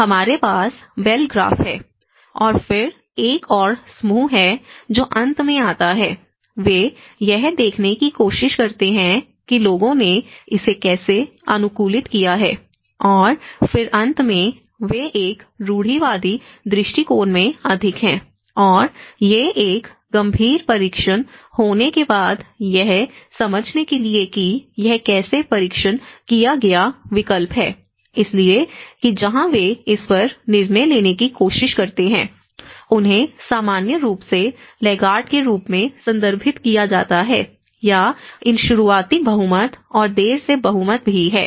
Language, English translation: Hindi, And then this is what we said about is going to have a bell graph and then there is another group who comes at the end, they try to see at how people have adapted to it and then the finally, they are more in a conservative approach and these after having a serious testing of this understanding how this has been tested option, so that is where they try; then they try to decide upon it, they are referred normally as laggards, or there is also these early majority and the late majority